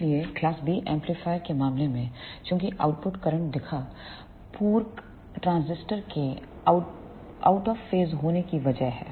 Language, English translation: Hindi, So, in case of class B amplifier since the output current appeared due to the complementary transistors are in out of phase